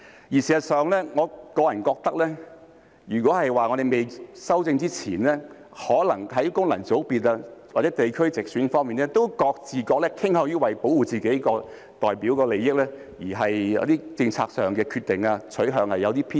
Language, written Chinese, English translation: Cantonese, 事實上，我個人認為在未修訂前，功能界別或地區直選可能都會各自傾向保護自己代表的利益，而在政策上的一些決定和取向會有些偏私。, In fact I personally think that before these amendments are proposed Members returned by functional constituencies or geographical constituencies through direct elections may tend to protect the interest of their own constituency and so some of their decisions and preferences in relation to the policies may somehow be biased